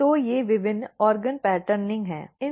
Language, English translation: Hindi, So, these are different organ patterning’s